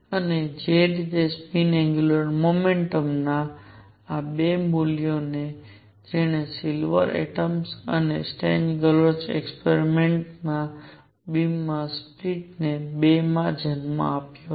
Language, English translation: Gujarati, And by the way this 2 values of spin angular momentum are what gave rise to the split of the beam of silver atoms and Stern Gerlach experiments into 2